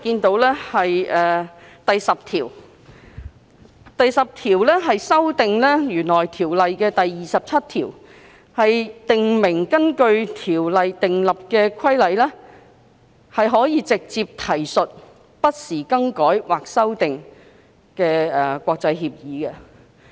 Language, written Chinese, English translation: Cantonese, 第10條建議修訂《運貨貨櫃條例》第27條，以訂明根據《條例》訂立的規例可直接提述不時更改或修訂的國際協議。, Clause 10 proposes to amend section 27 of the Freight Containers Safety Ordinance so that regulations made under the Ordinance may directly refer to international agreements as revised or amended from time to time